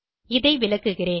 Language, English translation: Tamil, Let me explain this in detail